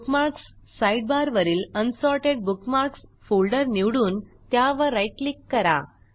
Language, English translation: Marathi, From the Bookmarks sidebar, select the Unsorted Bookmarks folder and right click on it